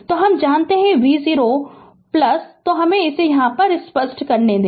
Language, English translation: Hindi, So, we know v 0 plus, so let me clear it